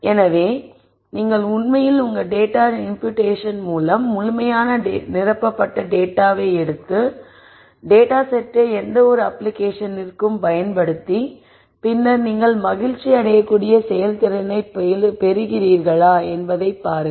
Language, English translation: Tamil, So, maybe you could actually take the completely filled in data with your data imputation and use the data set for whatever the intended application is and then look at whether you are getting a performance that you are happy with